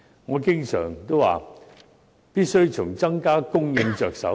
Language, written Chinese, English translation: Cantonese, 我經常說，必須從增加供應着手。, As I have said from time to time we must work at it from the supply side